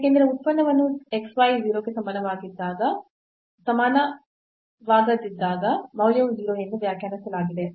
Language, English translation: Kannada, Because the function is defined as the value is 0 when x y not equal to 0